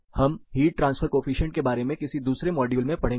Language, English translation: Hindi, So, we will study more about heat transfer coefficient in one of the other modules